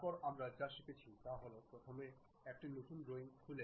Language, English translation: Bengali, Then the first one what we are learning is opening a New drawing